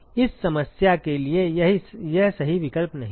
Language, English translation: Hindi, It is not the right choice for this problem